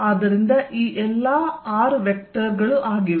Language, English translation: Kannada, And what is this vector